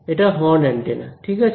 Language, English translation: Bengali, It is a horn antenna right